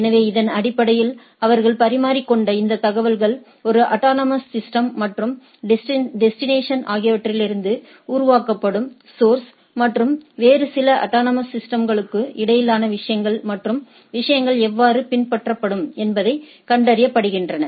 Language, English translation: Tamil, So, based on this, but this information they exchanged they find out the path between the source which is generated from one autonomous system and destination, which is at the other and some other autonomous systems and how the things will follow